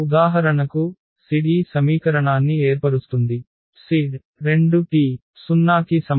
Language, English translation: Telugu, So, for example, the z form this equation z plus 2 t is equal to 0